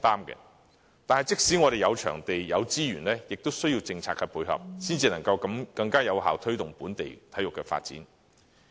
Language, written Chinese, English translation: Cantonese, 可是，即使有場地、資源，亦需要政策的配合，才能夠更有效地推動本地的體育發展。, However the effective promotion of local sports development calls also for policy support in addition to availability of venues and resources